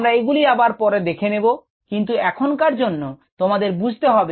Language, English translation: Bengali, we will visit this later, but for now which have we understand